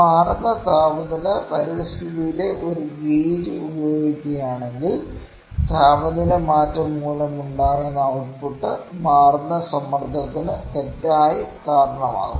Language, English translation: Malayalam, And if a gauge is used in a changing temperature environment, the output caused by the temperature change can wrongly be attributed to changing strain